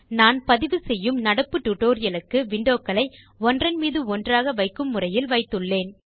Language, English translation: Tamil, For the current tutorial that I am recording I have placed the windows in an overlapping manner